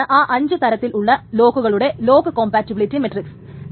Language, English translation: Malayalam, So, this is the lock compatibility matrix between all these five kind of locks